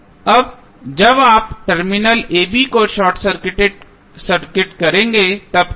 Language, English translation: Hindi, Now, when you will when you short circuit the terminal a, b what will happen